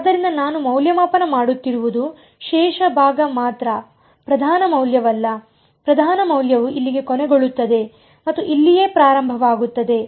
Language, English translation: Kannada, So, what I am evaluating is only the residue part not the principal value; the principal value ends over here and starts over here right